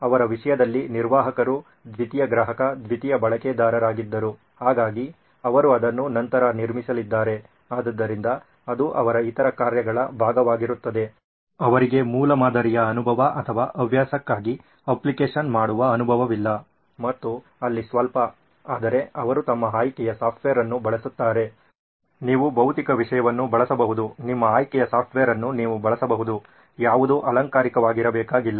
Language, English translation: Kannada, So in their case the admin was sort of a secondary customer, secondary user, so they’re going to build that later on so that will be part of their other tasks, they do not have a prototyping experience or an app building experience probably a little bit here and there for a hobby, but they use their software of choice, you can use physical stuff, you can use software of your choice does not need to be anything fancy